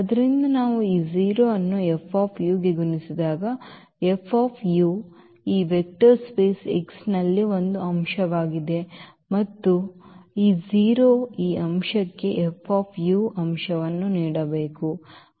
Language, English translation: Kannada, So, when we multiply this 0 to F u, F u is an element in this vector space X and again this 0 into this element F u must give 0 element